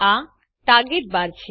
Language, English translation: Gujarati, This is the Target bar